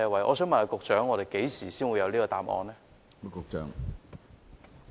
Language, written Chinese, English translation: Cantonese, 我想問局長何時才會有答案呢？, May I ask the Secretary when can we have the answer?